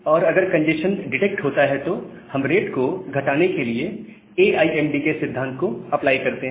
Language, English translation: Hindi, And if a congestion is detected, then we apply the AIMD principle to decrease the rate